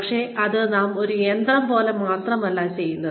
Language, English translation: Malayalam, But, we do not just do it, like a machine